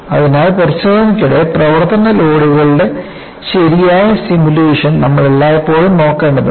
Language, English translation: Malayalam, So, you will always have to look at proper simulation of service loads during testing